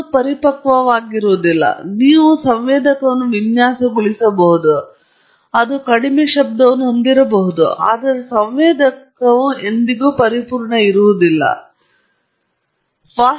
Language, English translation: Kannada, You can design a very, very nice sensor that has very less noise, but no sensor is perfect and no sensor is really perfectly understood